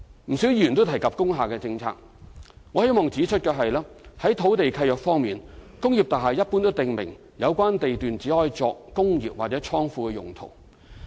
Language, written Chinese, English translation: Cantonese, 不少議員也有提及工廈政策，我希望在此指出的是，在土地契約方面，工業大廈一般都訂明有關地段只許作"工業及/或倉庫"用途。, Quite many Members mentioned the policy on industrial buildings . Here I wish to point out that generally speaking the only land use permitted in the land lease of industrial buildings is industrial andor godown